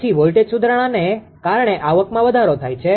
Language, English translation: Gujarati, Then revenue increase due to voltage improvement